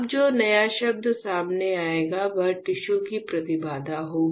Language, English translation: Hindi, Now the new term that will come into picture would be impedance of the tissue